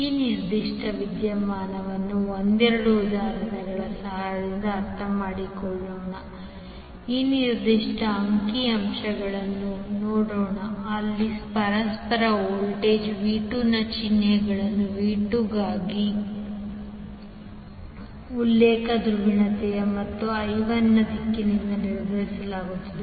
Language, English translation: Kannada, Let us understand this particular phenomena with the help of couple of examples let us see this particular figure where the sign of mutual voltage V2 is determine by the reference polarity for V2 and the direction of I1